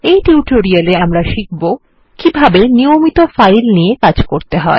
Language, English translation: Bengali, In this tutorial we will see how to handle regular files